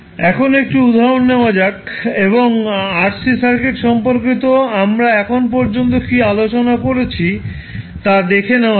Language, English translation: Bengali, So now, let us take 1 example and let us what we discussed till now related to RC circuit